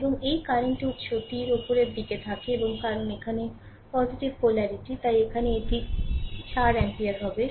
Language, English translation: Bengali, And this will be your current source; arrow is upwards right, and because here plus polarity is here and this will be your 4 ampere right